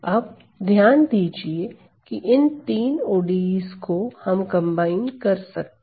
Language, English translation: Hindi, So, notice that this set of three ODEs I can combine